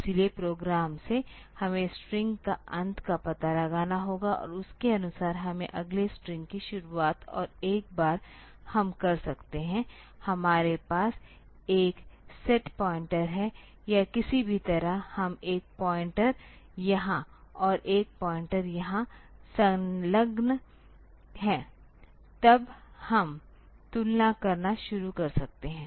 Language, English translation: Hindi, So, from the program we have to locate for this end of string and accordingly we have to set the beginning of the next string and once we are done; we have a set one pointer; or somehow we are attached one pointer here and one pointer here; then we can start doing the comparison